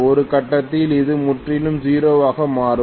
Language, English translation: Tamil, At some point it will become completely 0